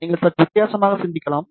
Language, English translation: Tamil, You can even think in a slightly different way also